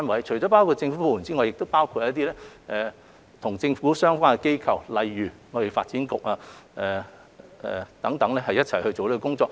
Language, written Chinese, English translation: Cantonese, 除政府部門外，亦包括與一些政府相關的機構如貿發局，共同進行這工作。, In addition to government departments there are also government - related organizations such as TDC working together on the joint conference